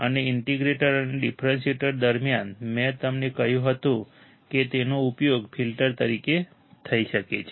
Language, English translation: Gujarati, And during the integrator and differentiator I told you that they can be used as a filter